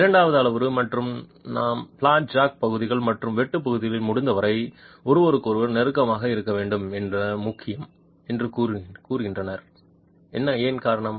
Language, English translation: Tamil, The second parameter and that is the reason why I said it is important that the areas of the flat jack and the area of the cut are as close to each other as possible